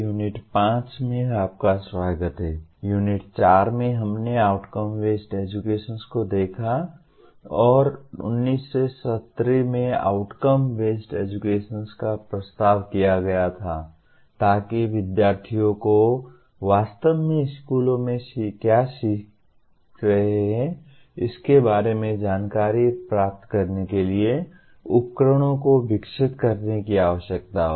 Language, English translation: Hindi, In Unit 4, we looked at Outcome Based Education and outcome based education was proposed in 1970s in response to the need to develop instruments to obtain information about what the students are actually learning across schools